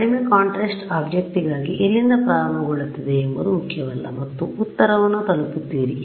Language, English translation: Kannada, So, for a low contrast object it does not matter where you start from and you arrive at the correct answer